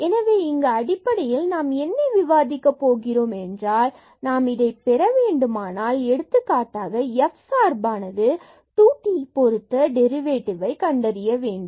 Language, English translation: Tamil, So, here what basically we will be discussing here, if we want to get for example, the derivative of this z function with respect to 2 t